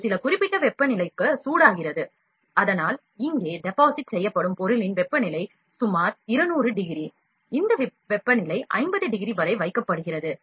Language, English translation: Tamil, It is heated to the some specific temperature so that, the material that is deposited here, the temperature of the material is about 200 degrees, this temperature is kept about 50 degree